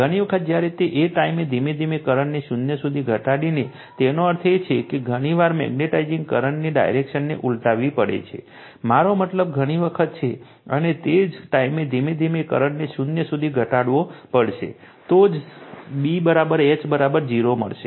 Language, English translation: Gujarati, By reversing the magnetizing current say I, a large number of times while at the same time gradually reducing the current to zero that means, several times you have to see you have to reverse the direction of the your magnetizing current, I mean large number of times, and while at the same time gradually you have to reduce in the current to zero, then only you will get B is equal to H is equal to 0